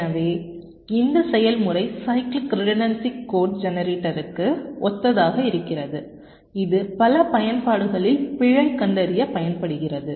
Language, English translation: Tamil, so the process is exactly similar to cyclic redundancy code generator, which is used for error detection in many applications